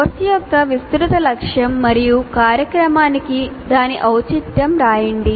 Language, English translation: Telugu, Then one should write the broad aim of the course and its relevance to the program